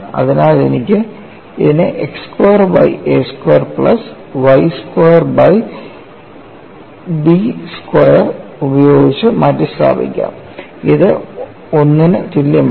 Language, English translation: Malayalam, So, I can replace this in terms of x square by a square plus y square by b square equal to 1 that is the general equation of your ellipse